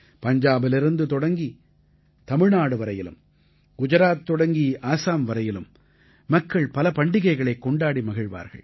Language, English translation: Tamil, From Punjab to Tamil Nadu…from Gujarat to Assam…people will celebrate various festivals